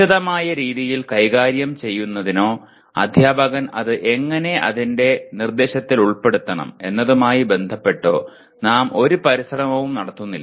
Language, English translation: Malayalam, We do not make any attempt at all to deal with it in detailed way nor about how the teacher should incorporate that into his instruction